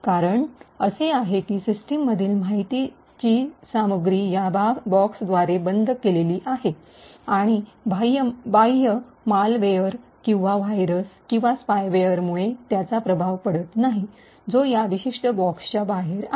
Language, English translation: Marathi, The reason is that, the information content in the system is enclosed by this box and is not affected by the external malware or viruses or spyware, which is outside this particular box